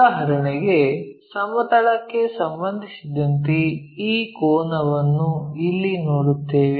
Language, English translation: Kannada, For example, this angle with respect to horizontal we will see it here